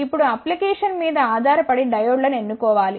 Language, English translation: Telugu, Now, depending upon the application one should choose the diodes